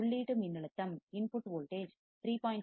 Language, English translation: Tamil, Assume that the input voltage is 3